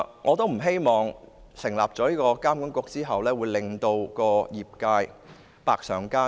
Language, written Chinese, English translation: Cantonese, 我不希望旅監局成立之後，會令業界百上加斤。, I do not wish to see that the establishment of TIA will exert a heavier burden on the industry